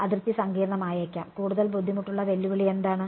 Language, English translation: Malayalam, Boundary may be complicated, what is the more difficult challenge